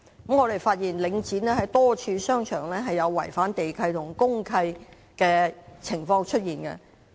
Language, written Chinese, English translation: Cantonese, 我們發現領展多個商場有違反地契和公契的情況。, We discover that a number of shopping centres of Link REIT is suspected of breaches of land leases and deeds of mutual covenant